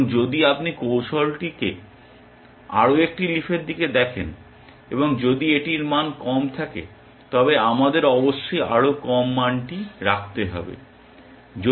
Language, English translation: Bengali, And if you are looking at one more leaf in the strategy, and if it has a lower value, we must keep the lower value